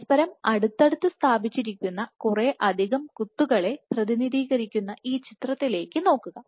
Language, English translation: Malayalam, So, what this is a representative picture of multiple dots which are positioned close to each other